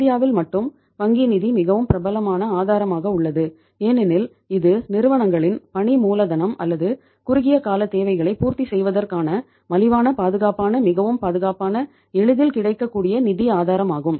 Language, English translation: Tamil, It is in India only the bank finance is the most popular source of working capital because it is the cheapest, safest, most secure, easily available source of the finance for fulfilling the working capital or the short term requirements of the firms